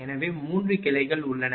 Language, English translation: Tamil, So, there are 3 branches